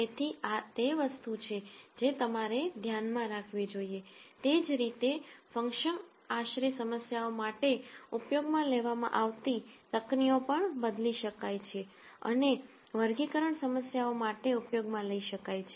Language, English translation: Gujarati, So, this is something that you should keep in mind, similarly techniques used for function approximation problems can also be modified and used for classification problems